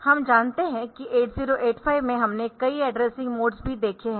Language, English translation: Hindi, So, that we know in 8085 also we have seen a number of addressing modes